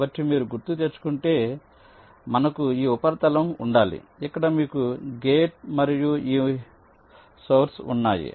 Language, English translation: Telugu, so you can recall, we need to have a substrate where you have the gate and this source